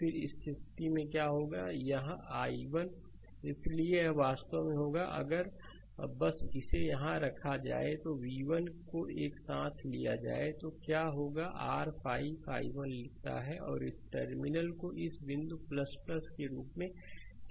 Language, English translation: Hindi, Then in this case what will happen, this i 1 so it will be actually, if you just putting it here, taking v 1 together right, then what will happen that your you write 5 i 1, and this terminal this point is plus i marked it here right, plus v 1 right and encountering minus terminal here